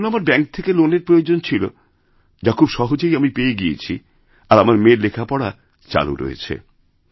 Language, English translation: Bengali, I needed to take a bank loan which I got very easily and my daughter was able to continue her studies